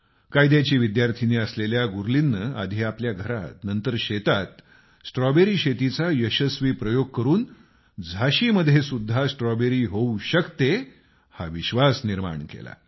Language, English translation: Marathi, A Law student Gurleen carried out Strawberry cultivation successfully first at her home and then in her farm raising the hope that this was possible in Jhansi too